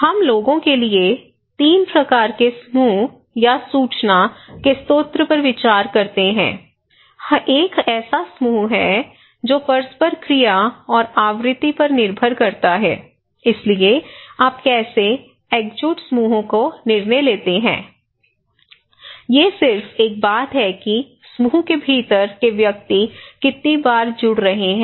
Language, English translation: Hindi, Here, we consider 3 kind of group or the source of information for people, one is the cohesive groups that depends on the degree and frequency of the tie or interactions okay so given, so how do you decide the cohesive groups; it is just a matter of that how frequently the individuals within a group is connecting